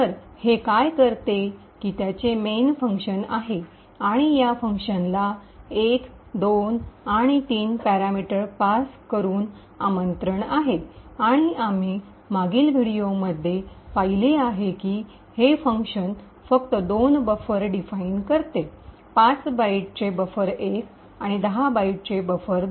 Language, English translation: Marathi, So what it does is that it has a main function and an invocation to this function which is passed parameters 1, 2 and 3 and as we have seen in the previous videos this function just defines two buffers, buffer 1 of 5 bytes and buffer 2 of 10 bytes